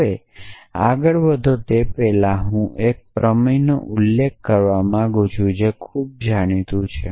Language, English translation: Gujarati, So, before you move on i want to mention one theorem, which is quite well known